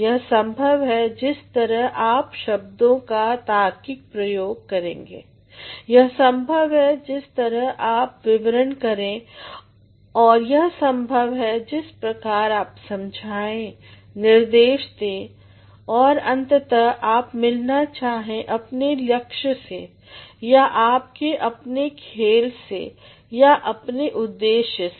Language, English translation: Hindi, That is possible the way you reason with your words that is possible by the way you describe that it is possible by the way you explain by the way you instruct and by the way finally, you want to meet your aim or your own game or your own purpose